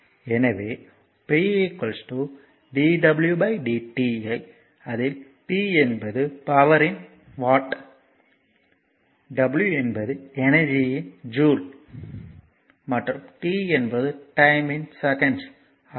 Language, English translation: Tamil, So, it is p is equal to dw by dt where p is the power in watts right w is the energy in joules right and t is the time in second